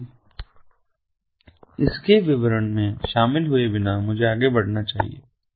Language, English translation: Hindi, so, without getting into the details of it, let me proceed further